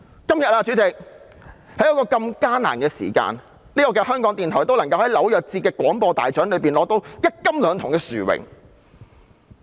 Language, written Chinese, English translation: Cantonese, 主席，在今天如此艱難的時刻，香港電台仍能在紐約節廣播大獎中獲得一金兩銅的殊榮。, President amid such a difficult time today RTHK has still managed to win one gold and two bronze awards in the New York Festivals Radio Awards